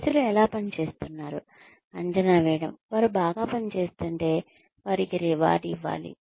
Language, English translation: Telugu, Assessing, how people are working, if they are doing well, they should be rewarded